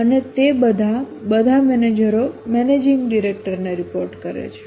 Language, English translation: Gujarati, And all of them, all the managers report to a managing director